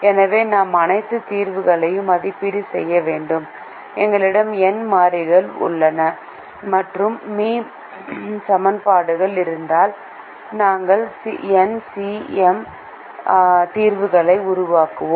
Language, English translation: Tamil, so we have to evaluate all the solutions and if we have n variables and m equations, we end up creating n, c, m solutions